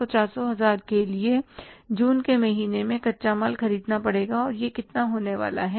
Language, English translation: Hindi, So 400,000 for that we will have to purchase the raw material in the month of June and how much that is going to be